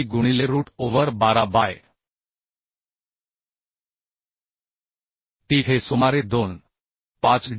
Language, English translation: Marathi, 7d into root over 12 by t This will be around 2